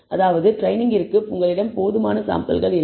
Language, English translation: Tamil, You do not have sufficient samples for training